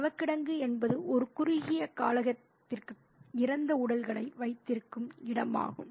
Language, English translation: Tamil, Mortuary is a space which contains the dead bodies, which houses the dead bodies for a short period